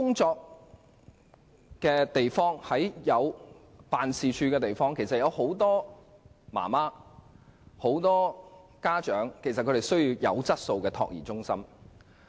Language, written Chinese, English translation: Cantonese, 在辦公室林立的地區，其實有很多家長需要優質託兒中心。, In office districts many parents actually need quality child care centres